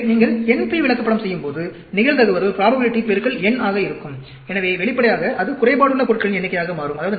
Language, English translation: Tamil, So, when you do NP Chart, probability into n, so obviously, it becomes number of defective items